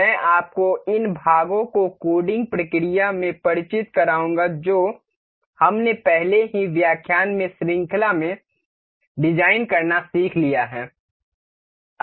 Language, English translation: Hindi, I shall introduce you with the assembling process of the parts that we have already learned to design in the previous series of lectures